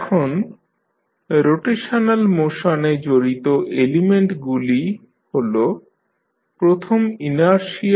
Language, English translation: Bengali, Now, the elements involved in the rotational motions are first inertia